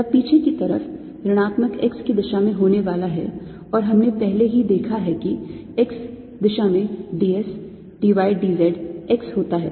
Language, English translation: Hindi, on at the backside is going to be in the direction minus x, and we've already seen that in the x direction d s is d y d z x